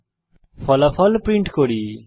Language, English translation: Bengali, Let us now print the result